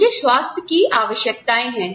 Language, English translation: Hindi, I have health needs